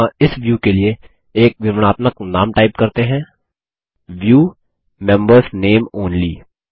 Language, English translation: Hindi, Here, let us type a descriptive name for this view: View: Members Name Only